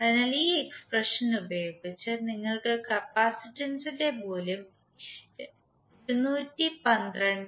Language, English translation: Malayalam, So using this expression you can simply find out the value of capacitance that comes out to be 212